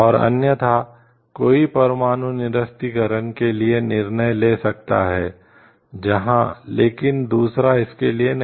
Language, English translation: Hindi, And is otherwise one may decide for a nuclear disarmament where, but the other if it does not decide for it